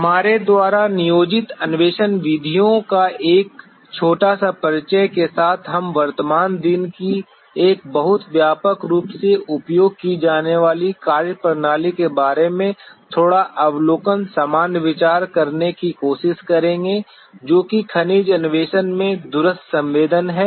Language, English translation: Hindi, With that little bit of a brief introduction of the exploration methods that is employed we will try to have a bit of an overview general idea about a very widely used methodology of the present day that is the remote sensing in mineral exploration